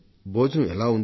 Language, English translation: Telugu, How is the food